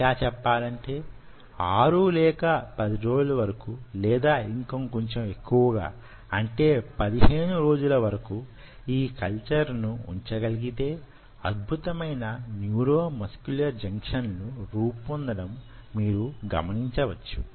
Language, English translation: Telugu, ok, and if you can hold this culture for i would say anything between six to ten days and slightly longer, say fifteen days, you will see wonderful neuromuscular junctions getting formed like this